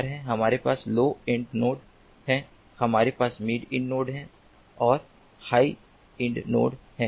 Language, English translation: Hindi, we have the low end nodes, we have the mid end nodes and the high end notes